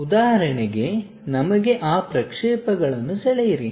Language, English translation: Kannada, For example, for us draw those projections